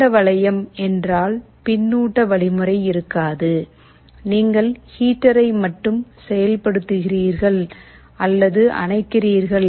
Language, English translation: Tamil, Open loop means there is no feedback mechanism; like you are only turning on or turning off the heater, but you are not reading the value of the temperature